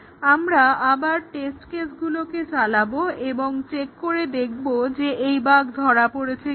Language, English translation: Bengali, We run the test cases again and check whether this bug is caught